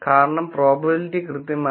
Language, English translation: Malayalam, Because the probability is exactly 0